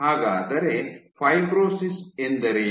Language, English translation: Kannada, So, what is fibrosis